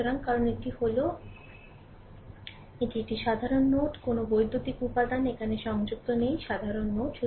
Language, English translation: Bengali, So, because this are this are this is your a common node, no electrical elements are connected here, common node